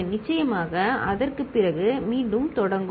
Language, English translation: Tamil, After that, again it starts repeating